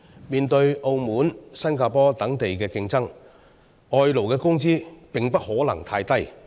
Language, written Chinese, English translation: Cantonese, 面對澳門和新加坡等地的競爭，外勞的工資也不能太低。, In the face of competition from Macao and Singapore the wages offered to imported workers should not be too low